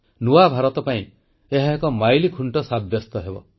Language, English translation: Odia, It will prove to be a milestone for New India